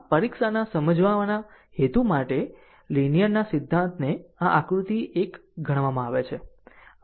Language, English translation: Gujarati, So, for the purpose of the exam explaining, the linearity principle is consider this figure 1 right